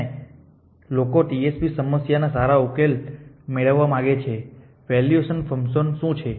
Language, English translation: Gujarati, And people would like to good get good solutions of TSP problem what about the valuation function